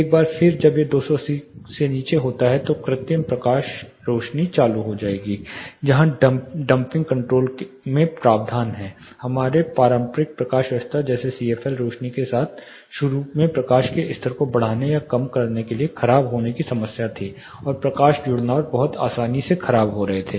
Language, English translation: Hindi, Once it is below 280 the artificial lights will be turned on where as in the dimming control there is a provision for adjusting increasing or decreasing the light levels initially with our conventional lighting system like incandescent and CFL lights there was a problem of wear and tear and the light fixtures getting worn away very easily